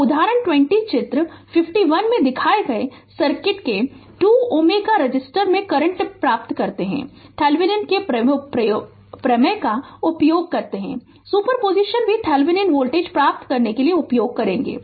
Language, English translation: Hindi, So, example 20 obtain the current in 2 ohm resistor of the circuit shown in figure 51, use Thevenin’s theorem also super position also you will use to get the Thevenin voltage